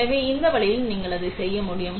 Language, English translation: Tamil, So, this way you are able to do that